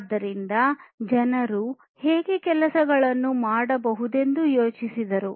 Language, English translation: Kannada, So, people thought about how things could be done